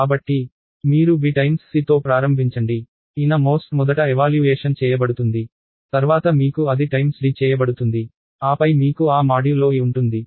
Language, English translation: Telugu, So, you start with b times c the inner most thing is the evaluated first, then you have that times d, then you have that modulo e